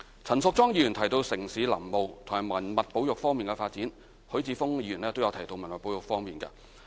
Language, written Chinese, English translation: Cantonese, 陳淑莊議員提到城市林務和文物保育方面的發展，許智峯議員亦提到文物保育事宜。, Ms Tanya CHAN talked about the development of urban forestry and heritage conservation . The latter was also mentioned by Mr HUI Chi - fung